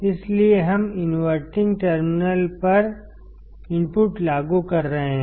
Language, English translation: Hindi, So, we are applying the input to the inverting terminal